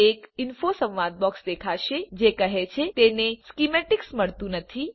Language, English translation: Gujarati, An Info dialog box will appear saying it cannot find the schematic